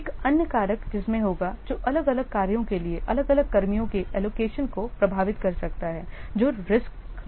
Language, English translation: Hindi, Another factor in which will, which may affect allocation of individual personnel to different tax is risks